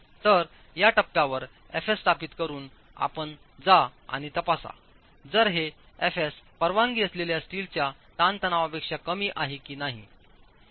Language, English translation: Marathi, So at this stage with fs established, you go and check if this FS is less than the permissible steel stress FS